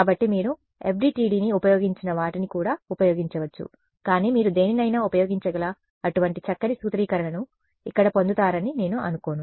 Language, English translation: Telugu, So, you can use people have used FDTD also, but I do not think you get such a nice formulation over here you can use any